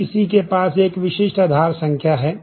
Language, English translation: Hindi, Aadhaar number; everybody has a unique Aaadhaar number